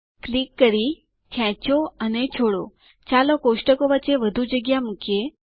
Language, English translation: Gujarati, By clicking, dragging and dropping, let us introduce more space among the tables